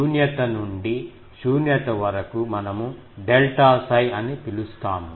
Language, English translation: Telugu, Earlier from null to null, we are calling delta psi